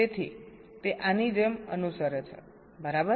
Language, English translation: Gujarati, so it follows like this, right